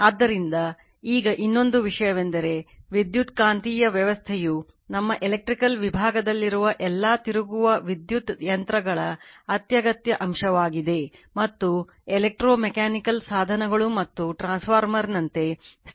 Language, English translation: Kannada, So that is your now and another thing is the electromagnetic system is an essential element of all rotating electrical electric machines in our electrical engineering we see, and electro mechanical devices as well as static devices like transformer right